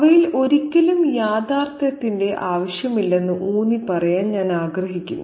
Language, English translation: Malayalam, I'd like to emphasize that there never was, I would like to emphasize that there was never any want of realism in them